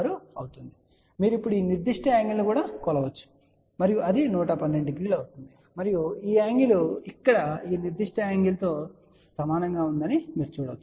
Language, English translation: Telugu, 56 and you can now measure this particular angle and that will be 112 degree and you can see that this angle is exactly same as this particular angle here